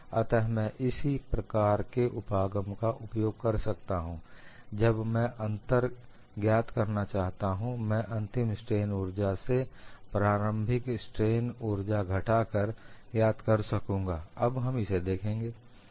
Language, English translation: Hindi, So, I can use the similar approach and when I want to find out the difference, I will find out the final strain energy minus initial strain energy, we will look at now